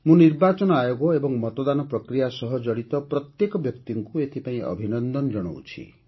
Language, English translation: Odia, For this, I congratulate the Election Commission and everyone involved in the voting process